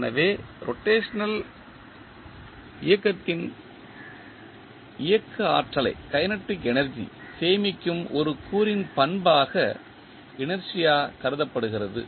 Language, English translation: Tamil, So, inertia is considered as the property of an element that stores the kinetic energy of the rotational motion